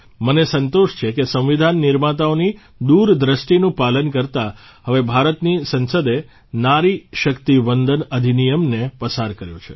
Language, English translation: Gujarati, It's a matter of inner satisfaction for me that in adherence to the farsightedness of the framers of the Constitution, the Parliament of India has now passed the Nari Shakti Vandan Act